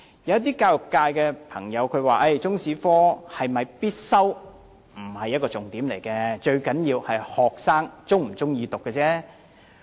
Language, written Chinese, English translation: Cantonese, 有教育界朋友表示，中史是否必修科並非重點，最重要的是學生是否喜歡修讀。, As some members of the education sector have stated it does not matter whether Chinese History is a compulsory subject; what matters most is whether students like to study Chinese history?